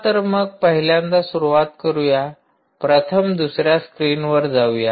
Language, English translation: Marathi, the first one is: lets start to the other screen